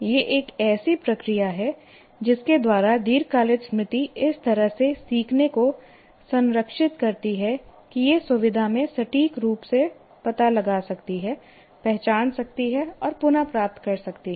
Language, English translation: Hindi, It is a process whereby long term memory preserves learning in such a way that it can locate, identify and retrieve accurately in the future